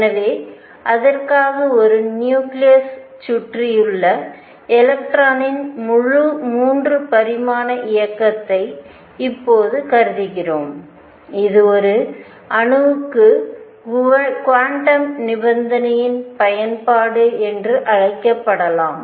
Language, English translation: Tamil, So, for that we now consider a full 3 dimensional motion of the electron around a nucleus which also can be called the application of quantum conditions to an atom